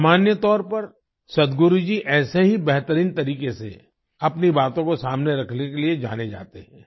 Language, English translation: Hindi, Generally, Sadhguru ji is known for presenting his views in such a remarkable way